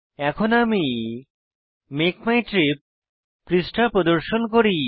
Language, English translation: Bengali, Let me show you the Make my trip page